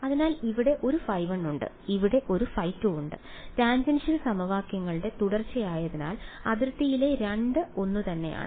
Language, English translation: Malayalam, So, there is a phi 1 here and there is a phi 2 here, the 2 on the boundary are the same because continuity of tangential equations right